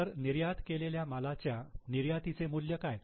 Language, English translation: Marathi, So, for the goods which are exported, what is the value of exports